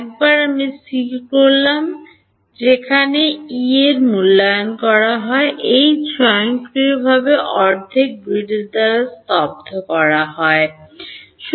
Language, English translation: Bengali, Once I fix where E is evaluated H automatically becomes staggered by half grid right